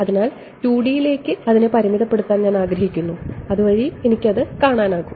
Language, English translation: Malayalam, So, I want to restrict myself to 2 D so that I can visualize it ok